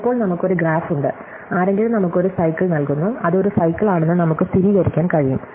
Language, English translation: Malayalam, So, now, we have a graph and somebody gives us a cycle, we can verify that itÕs a cycle